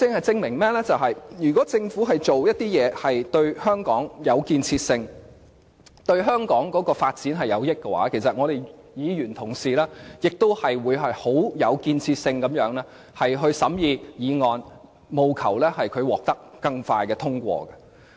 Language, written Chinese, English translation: Cantonese, 這可證明，如果政府做的事是對香港有建設性，對香港發展有益，其實立法會議員同事亦會很有建設性地審議議案，務求令議案更迅速地獲得通過。, This can prove that if what is being done by the Government is constructive to Hong Kong and is conducive to Hong Kongs development Members will also examine its motions constructively and seek to pass these motions more quickly . Everyone can see this situation clearly